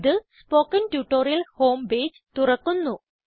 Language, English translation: Malayalam, This will open the spoken tutorial home page